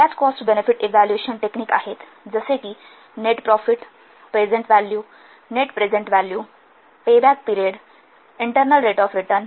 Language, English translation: Marathi, There are so many cost benefit evaluation techniques such as net profit, present value, net present value, payback period, internal rate of return